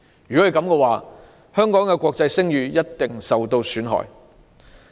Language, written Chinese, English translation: Cantonese, 這樣，香港的國際聲譽一定受到損害。, If so the international reputation of Hong Kong will certainly be ruined